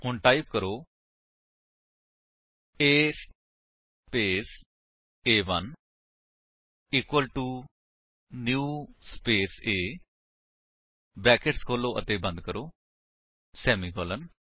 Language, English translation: Punjabi, So, type: A space a1 equal to new space A opening and closing brackets semicolon